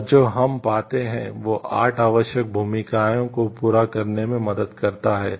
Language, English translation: Hindi, And what we find it helps in serving 8 essential roles